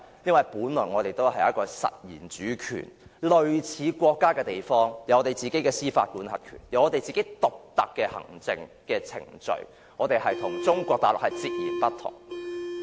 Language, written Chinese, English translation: Cantonese, 因為，我們本來也是一個有實然主權，類似國家的地方，擁有自己的司法管轄權，擁有獨特的行政程序，是與中國大陸截然不同的。, This is because we do have de facto sovereign power and Hong Kong is a place similar to a country . Hong Kong is completely different from the Mainland China as it has its own jurisdiction and its unique administrative procedures